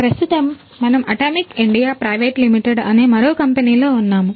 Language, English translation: Telugu, So, right now we are in another company which is the Atomic India Private Limited